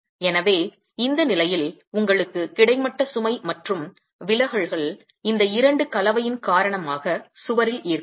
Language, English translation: Tamil, So, in this condition you have the horizontal load and deflections occurring in the wall because of the combination of the two